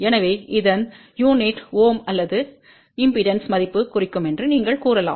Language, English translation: Tamil, So, the unit of this will be ohm or you can say this will represent the impedance value